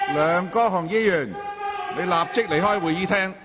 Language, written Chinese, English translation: Cantonese, 梁國雄議員，立即離開會議廳。, Mr LEUNG Kwok - hung leave the Chamber immediately